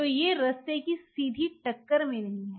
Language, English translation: Hindi, So, you are not in direct hit of the pathway